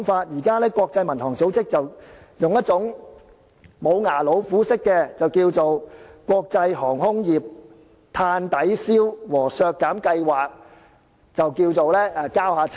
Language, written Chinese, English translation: Cantonese, 現時國際民航組織便是使用紙老虎式的方法，以"國際航空碳抵消和減排計劃"交差。, The International Civil Aviation Organization then put in place a paper tiger option settling for the Carbon Offsetting and Reduction Scheme for International Aviation